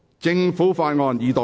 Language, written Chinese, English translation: Cantonese, 政府法案：二讀。, Government Bill Second Reading